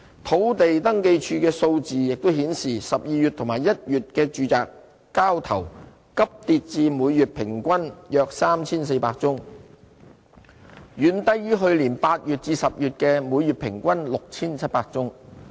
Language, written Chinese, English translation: Cantonese, 土地註冊處數字亦顯示 ，12 月及1月的住宅交投急跌至每月平均約 3,400 宗，遠低於去年8月至10月的每月平均 6,700 宗。, Figures from the Land Registry showed that average monthly transactions in December and January plunged to around 3 400 significantly lower than the average monthly transactions of 6 700 between August and October last year